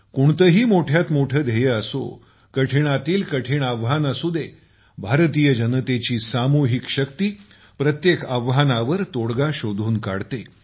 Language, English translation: Marathi, Be it the loftiest goal, be it the toughest challenge, the collective might of the people of India, the collective power, provides a solution to every challenge